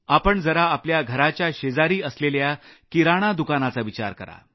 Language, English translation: Marathi, Think about the small retail store in your neighbourhood